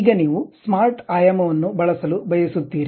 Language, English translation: Kannada, Now, you want to use smart dimension